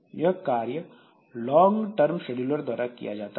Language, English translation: Hindi, So, this is done by the long term scheduler